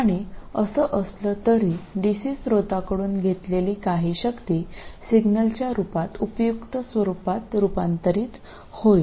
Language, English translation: Marathi, And somehow some of the power that is taken from the DC source will be converted to useful form in the form of the signal